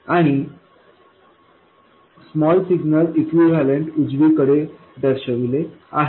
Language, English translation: Marathi, And the small signal equivalent is shown on the right side